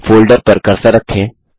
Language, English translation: Hindi, Place the cursor on the folder